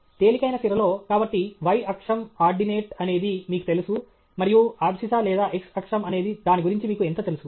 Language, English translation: Telugu, In a lighter vein… So, the y axis, the ordinate, is what you know and the abscissa or x axis how much you know about it okay